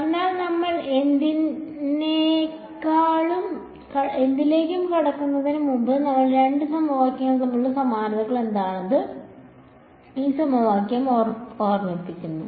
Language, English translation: Malayalam, So, before we get into anything does this equation remind what are the similarities between these two equations are any similarities